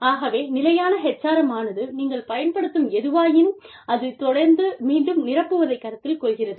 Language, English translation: Tamil, So, sustainable HRM assumes, that you are constantly replenishing, whatever you are using